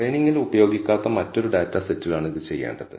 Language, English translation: Malayalam, This has to be done on a different data set that is not used in the training